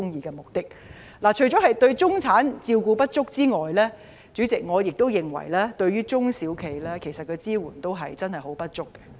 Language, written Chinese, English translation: Cantonese, 主席，除了對中產人士照顧不足外，我亦認為政府對中小型企業的支援也不足夠。, Chairman apart from insufficient care for middle - class people the Governments support for small and medium enterprises is also inadequate in my view